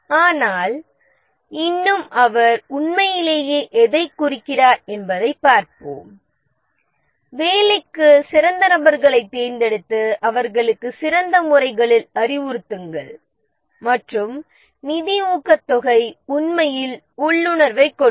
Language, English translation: Tamil, But still, let's see what he really meant that select the best people for job, instruct them in the best methods and give financial incentive, quite intuitive actually